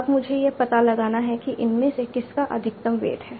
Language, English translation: Hindi, Now I have to find out which of these has the maximum weight